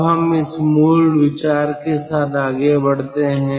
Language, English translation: Hindi, let us proceed with this basic idea